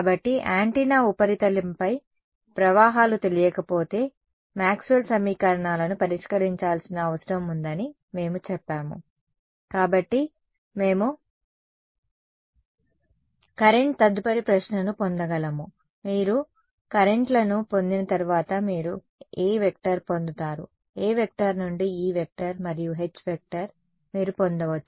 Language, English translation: Telugu, So, we said if the currents are not known on the surface of the antenna in very general way we need to solve Maxwell equations , therefore, we can get the current next question is so what, once you get the currents you can get A, from A you can get E and H ok